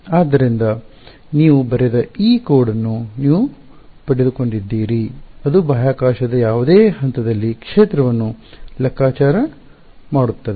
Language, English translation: Kannada, So, you have got this code you have written which calculates the field at any point in space